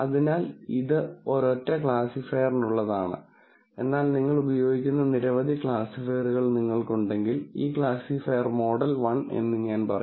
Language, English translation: Malayalam, So, this is a for a single classifier, but if you have several classifiers that you are using, then I would say this classifier model one